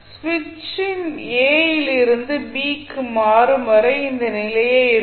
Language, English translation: Tamil, This would be the condition when switch is thrown from a to b